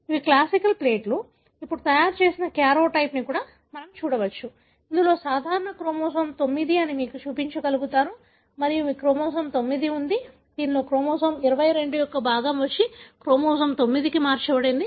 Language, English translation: Telugu, We can see that these are classic plates, karyotype prepared then, wherein they are able to show that this is a normal chromosome 9 and you have a chromosome 9 in which part of chromosome 22 came and translocated to chromosome 9